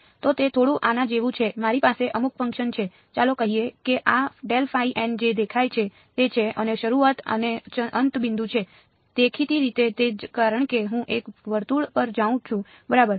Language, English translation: Gujarati, So, its a little bit like this I have some function let say that this is what grad phi dot n hat looks like and the starting and ending point is; obviously, the same because I am going on a circle ok